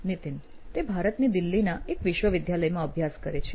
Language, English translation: Gujarati, He is studying at a university in Delhi, India